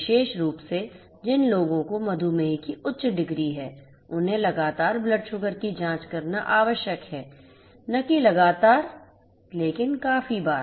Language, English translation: Hindi, Particularly, the ones who have higher degrees of diabetes; they have to they are required to check the blood sugar continuously, not continuously but quite often